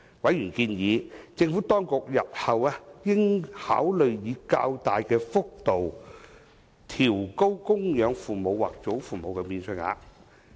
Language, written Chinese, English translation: Cantonese, 委員建議，政府當局日後應考慮以較大的幅度調高供養父母或祖父母免稅額。, The member advises the Administration to consider increasing dependent parent or grandparent allowances at a greater magnitude in the future